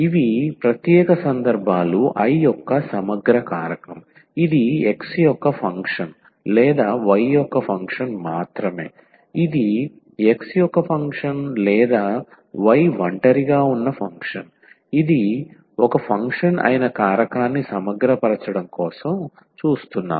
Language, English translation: Telugu, So, these are the special cases an integrating factor I that is either a function of x alone or a function of y alone, that is our first assumption that we are looking for integrating factor which is a function of x alone or it is a function of y alone